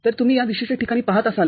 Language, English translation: Marathi, So, you are looking at this particular place